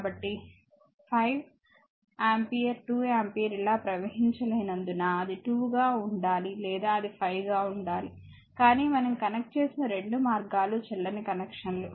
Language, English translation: Telugu, So, because a 5 ampere 2 ampere cannot flow like this I write the either it has to be 2 or it has to be your what you call this 5, but both the way we have connected it is invalid connection similarly here also it is invalids connection